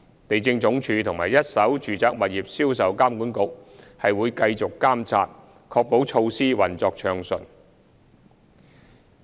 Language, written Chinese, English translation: Cantonese, 地政總署和一手住宅物業銷售監管局會繼續監察預售樓花活動，確保措施運作暢順。, The Lands Department and the Sales of First - hand Residential Properties Authority will continue to monitor presale activities to ensure orderly implementation